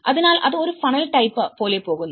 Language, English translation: Malayalam, So, that is going as a funnel type of it